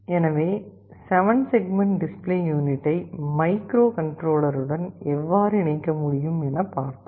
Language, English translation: Tamil, So, this is how you can interface a 7 segment LED display unit to the microcontroller